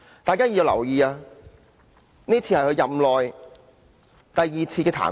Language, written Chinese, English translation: Cantonese, 大家必須留意，這已是他任內第二次被彈劾。, Members should note that this is the second impeachment of him during his term of office